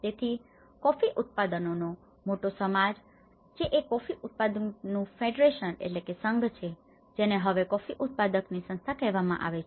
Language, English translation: Gujarati, So, being a large society of coffee growers is a coffee growers federation which is now termed as coffee growers organizations